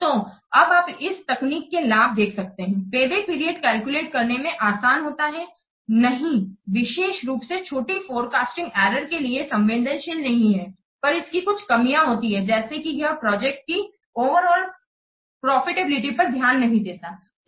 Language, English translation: Hindi, So you can see that the advantages of this technique payback payback is that that it is simple to calculate, no, not particularly sensitive to small forecasting errors, but it has some drawbacks like it ignores the overall profitability of the project